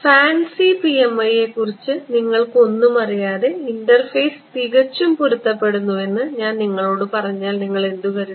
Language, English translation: Malayalam, If you did not know anything about fancy PMI and I told you interface is perfectly matched what would you think